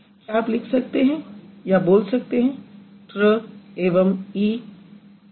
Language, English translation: Hindi, Can you write or can you say tree, TR and E